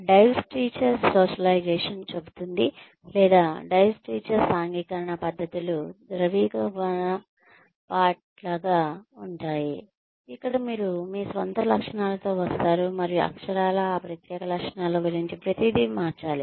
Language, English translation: Telugu, Divestiture socialization says, or divestiture socialization practices are more like a melting pot, where you come in with your own characteristics, and literally have to change everything about those special characteristics